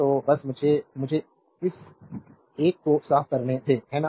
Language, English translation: Hindi, So, let me clean this one, right